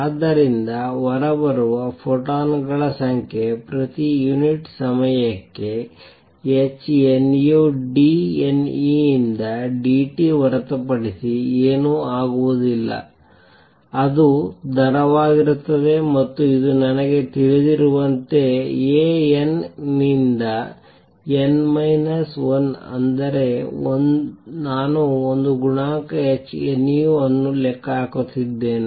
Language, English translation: Kannada, So, number of photons coming out would be nothing but d N by d t per unit time times h nu; that will be the rate and this I know is nothing but A n to n minus 1 that is 1, I am calculating the a coefficient h nu